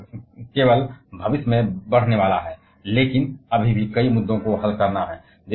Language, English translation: Hindi, And that that is only going to increase in future, but there has still several issues to solve